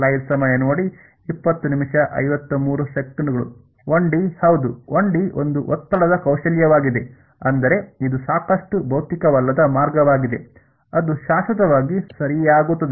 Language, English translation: Kannada, In 1 D yeah, 1 D is a strain skills I mean it is a quite unphysical way which is goes on forever alright